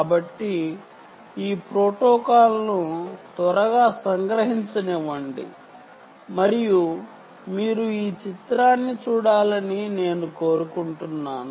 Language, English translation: Telugu, so let me quickly summarize this protocol and i want you to look at this picture